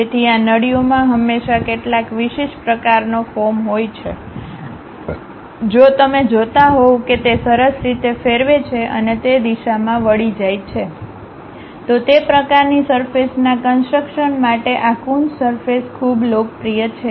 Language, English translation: Gujarati, So, these ducts always have some specialized kind of form, if you are looking at that they nicely turn and twist in that directions, for that kind of surface construction these Coons surfaces are quite popular